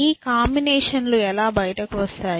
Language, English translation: Telugu, How does these combinations come out